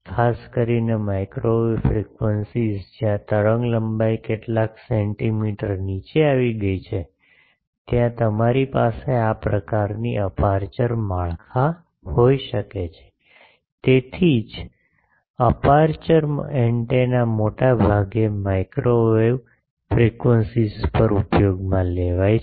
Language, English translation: Gujarati, Particularly microwave frequencies where typically the wavelength has come down to some centimeters there you can have this type of aperture structures that is why aperture antennas are mostly use at microwave frequencies